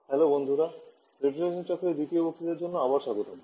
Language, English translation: Bengali, Hello friends, welcome again for the second lecture on refrigeration cycles